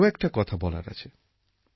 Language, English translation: Bengali, I have to say something more